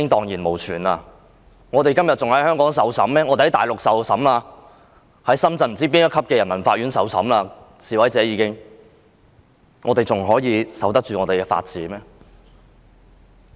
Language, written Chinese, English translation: Cantonese, 如果示威者會被送返大陸，在深圳不知道哪一級的人民法院受審，這樣我們還可以守得住法治嗎？, If protesters will be sent back to the Mainland and be tried in certain peoples court in Shenzhen can we still be able to defend the rule of law?